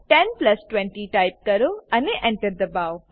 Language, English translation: Gujarati, Type 10 plus 20 and press Enter